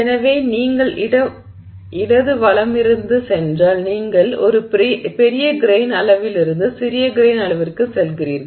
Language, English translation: Tamil, So if you go from left to right, you are going from large grain size to smaller grain size